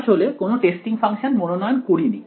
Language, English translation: Bengali, I did not actually choose a testing function right